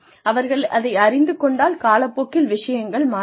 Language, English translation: Tamil, They should know that, things are going to change with time